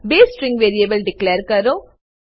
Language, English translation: Gujarati, Declare 2 string variables